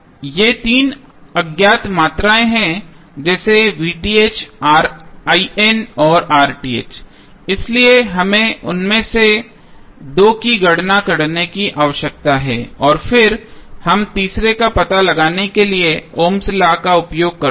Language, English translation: Hindi, These are the three unknown quantities like V Th, I N and R Th so we need to calculate two of them and then we use the ohms law to find out the third one